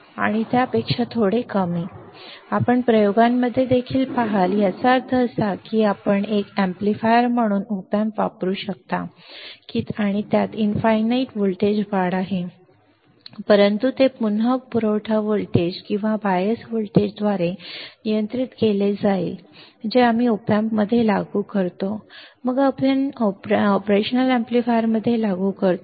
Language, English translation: Marathi, You will see in the experiments also that means, you can use op amp as an amplifier and it has an infinite voltage gain, but that will again also is governed by the supply voltage or the bias voltage that we apply across the op amp then we apply across the operational amplifier